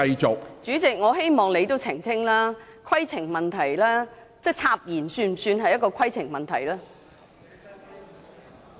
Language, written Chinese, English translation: Cantonese, 主席，我希望你澄清，插言是否屬於規程問題？, President I hope you can clarify whether an interruption is a point of order